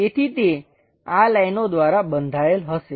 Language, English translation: Gujarati, So, it is supposed to be bounded by these lines